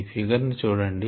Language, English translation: Telugu, here you see this figure